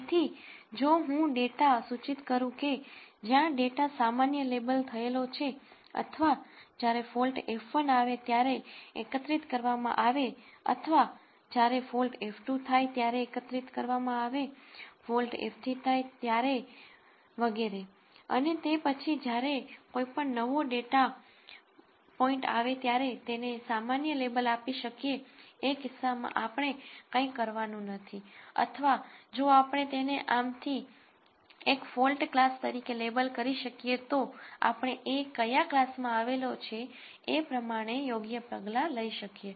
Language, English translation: Gujarati, So, if I have annotated data where the data is labelled as being normal or as being collected when fault F 1 occurred or as having been collected when fault F 2 occurs, fault F 3 occurs and so on, then whenever a new data point comes in we could label it as normal in which case we do not have to do anything or if we could label it as one of these fault classes then we could take appropriate action based on what fault class it belongs to